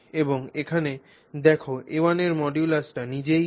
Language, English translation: Bengali, And if you see here the modulus of A1 and A2 is itself A